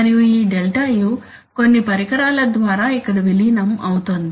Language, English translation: Telugu, And this ΔU is getting integrated here by some device okay